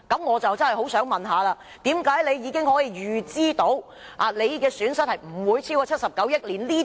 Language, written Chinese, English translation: Cantonese, 我不禁要問，為甚麼政府可以預知損失不會超過79億元？, I cannot help but ask why the Government can predict that its losses will not exceed 7.9 billion